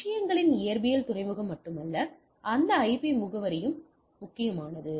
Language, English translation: Tamil, So, not only the physical port of the things also that IP address which is important